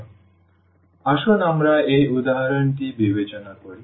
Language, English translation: Bengali, So, let us consider this example